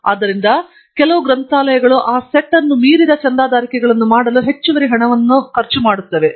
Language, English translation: Kannada, So, some libraries do spend additional amount of money to make subscriptions beyond that set